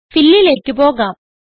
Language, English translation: Malayalam, Let us go to Fill